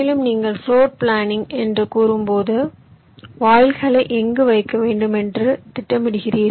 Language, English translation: Tamil, so when you say floor planning, you are planning where to place the gates